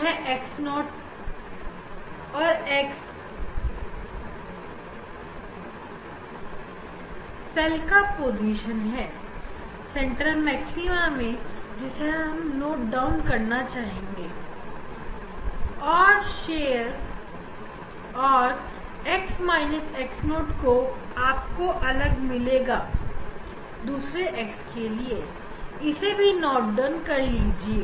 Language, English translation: Hindi, that is x and x 0 is the position of the cell at the central maxima that we should note down and then this x minus x 0 you will get for different x, note down this